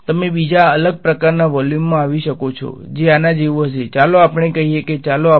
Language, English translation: Gujarati, You may come across another different kind of volume, which is like this; let us say this is let us say volume V naught and there is a current source over here J and this is volume V ok